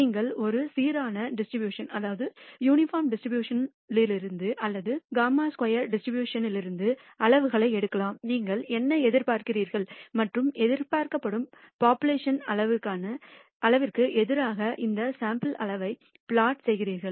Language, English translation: Tamil, You can take the quantiles from a uniform distribution or from the chi squared distribution what have you and the plot these sample quantiles against the expected population quantiles